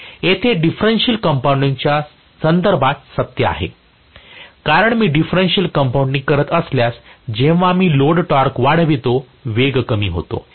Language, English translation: Marathi, Same thing is true here with respect to differential compounding, because if I do differential compounding, the moment I increase the load torque, the speed falls